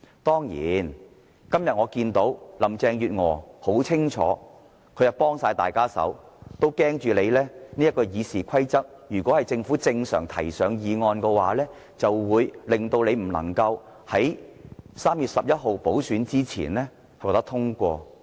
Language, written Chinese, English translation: Cantonese, 當然，我今天看到林鄭月娥明顯地是完全協助建制派，如果由政府正常地提交法案，恐怕他們修訂《議事規則》的議案便不能夠在3月11日補選前獲得通過。, It is certainly obvious to me that Carrie LAM is giving pro - establishment Members a helping hand . If the Government introduces bills to the Legislative Council in a normal way the motion on amending RoP might not be passed before the by - election on 11 March